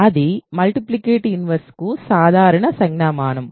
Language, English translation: Telugu, So, that is the usual notation for multiplicative inverses